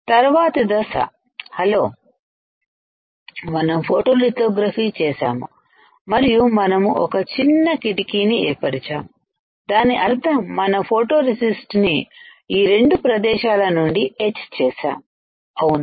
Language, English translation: Telugu, Next step; next step is we have performed the photolithography and created a window; that means, we have etched the photoresist from these 2 area correct you understood right